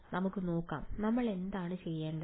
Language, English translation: Malayalam, So, let us see, so what should we do